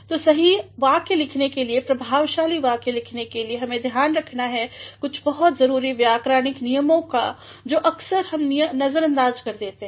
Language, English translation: Hindi, So, in order to write correct sentences, in order to write effective sentences, we have to be aware of some of these very important grammatical rules which are often ignored by us